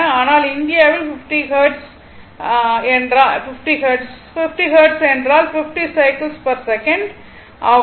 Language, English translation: Tamil, But India is 50 Hertz, 50 Hertz means it is 50 cycles per second this is the frequency right